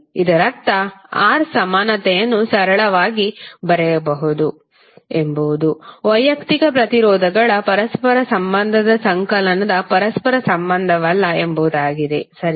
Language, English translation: Kannada, It means that you can simply write R equivalent is nothing but reciprocal of the summation of the reciprocal of individual resistances, right